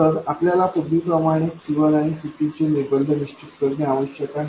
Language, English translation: Marathi, So, we need to determine the constraints on C1 and C2, just like before